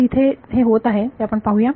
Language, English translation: Marathi, Let us see if that is happening over here